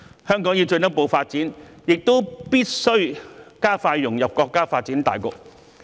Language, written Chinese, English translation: Cantonese, 香港要進一步發展，亦必須加快融入國家發展大局。, In order to facilitate its further development Hong Kong must also expedite its integration into the overall development of the country